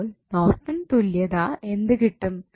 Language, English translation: Malayalam, So, what Norton's equivalent you will get